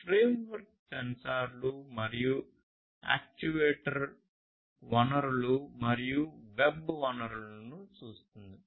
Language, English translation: Telugu, So, this framework views sensors and actuator resources and web resources